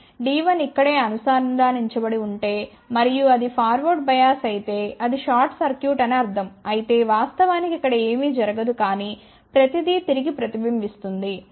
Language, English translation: Telugu, If D 1 was connected right here and if it is forward bias which means it is short circuited then nothing will go over here in fact, everything will reflect back